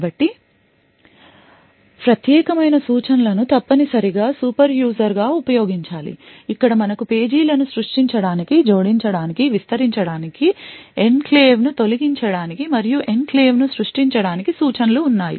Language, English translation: Telugu, So the privileged instructions essentially should be used as a super user where you have instructions to create pages, add pages extend pages, remove enclave, and create an enclave and so on